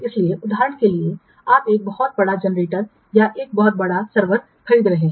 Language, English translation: Hindi, So, for example, you are purchasing a very large generator or a very vast or a very huge server you are purchasing